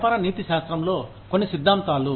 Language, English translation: Telugu, Some theories in business ethics